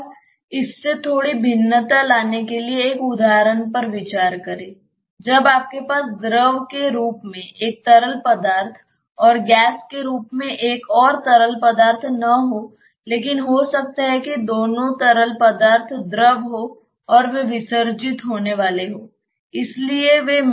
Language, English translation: Hindi, Now, just to have a slight variation from this, let us consider an example when you do not have just one fluid as a liquid and another fluid as gas, but maybe the both of the fluids are liquids and they are immiscible ones